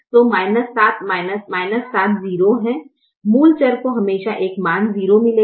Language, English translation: Hindi, the basic variable will always get a value zero